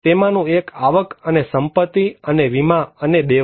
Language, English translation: Gujarati, One is the income and assets and insurance and debts